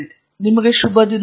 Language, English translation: Kannada, Have a good day